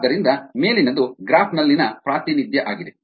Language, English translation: Kannada, so this is the representation in a graph